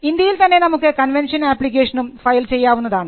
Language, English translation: Malayalam, In India, you can also file, a convention application